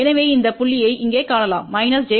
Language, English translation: Tamil, So, you locate this point here which is minus j 1